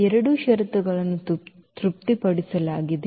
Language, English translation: Kannada, So, both the conditions are satisfied